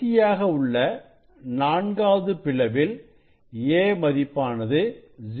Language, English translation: Tamil, 5 and then last one fourth one is a value is 0